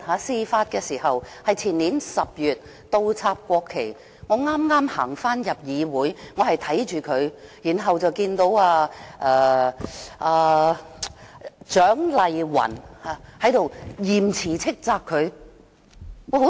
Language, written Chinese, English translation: Cantonese, 事發於前年10月，那時我剛巧返回會議廳，看見他這樣做，然後看到蔣麗芸議員嚴詞斥責他。, The incident happened in October two years ago . At that time I happened to have just returned to the Chamber and saw him doing that . And then I saw Dr CHIANG Lai - wan sternly reproach him